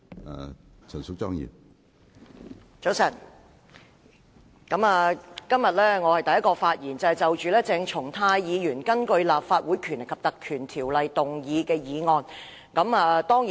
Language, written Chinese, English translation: Cantonese, 我是今天早上第一個就鄭松泰議員根據《立法會條例》動議的議案發言的議員。, I am the first Member to speak on the motion moved by Dr CHENG Chung - tai under the Legislative Council Ordinance this morning